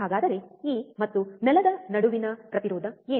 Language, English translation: Kannada, So, what is the resistance between this and ground